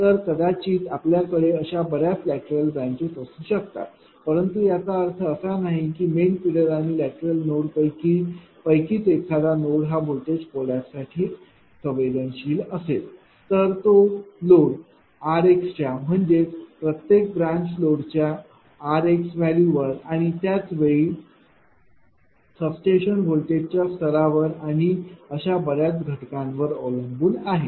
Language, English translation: Marathi, So, this node is coming actually sensitive of voltage collapse reality it ah you may have many laterals, but does not mean any of these lateral main figure n node will be sensitive of voltage collapse no it depends on the load r x values of the your what you call ah r x value of the your ah each branch load and at the same time also substation voltage level many many factors are there